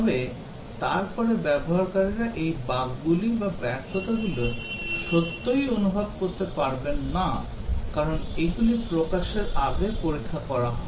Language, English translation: Bengali, But then, the users do not really get to experience these bugs or failures, because these are tested before releasing